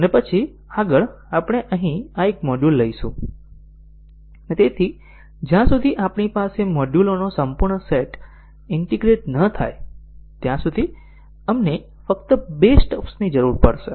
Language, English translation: Gujarati, And then next we take up this one this module here, and therefore, we would need only two stubs and so on until we have the full set of modules integrated